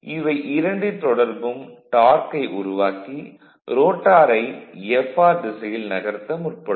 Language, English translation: Tamil, Creates the torque tending to move the rotor in the direction of Fr